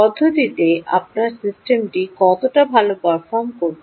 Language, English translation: Bengali, how good your system is performing